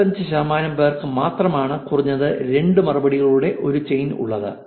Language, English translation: Malayalam, 25 percent have a chain of at least 2 replies